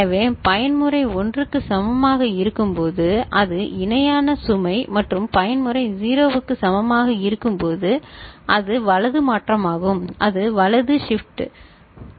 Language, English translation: Tamil, So, when mode is equal to 1 it is parallel load and when mode is equal to 0 it is right shift, it is right shift ok